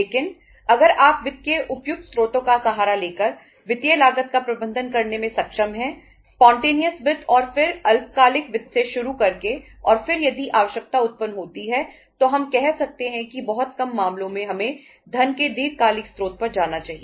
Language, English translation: Hindi, But if you are able to manage the financial cost by resorting to the say appropriate sources of the finances starting from the spontaneous finance and then short term finance and then if the need arises finally then we can say in in very few cases we should go for the long term sources of the funds